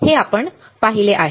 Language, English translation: Marathi, This is what we have seen